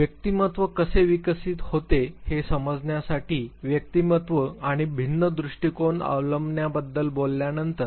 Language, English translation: Marathi, Having talked about personality and different adopting various approaches to understand how personality evolves